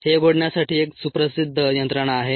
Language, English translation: Marathi, there is ah well known mechanism for this to happen